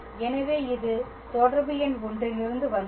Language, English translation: Tamil, So, this is from relation number 1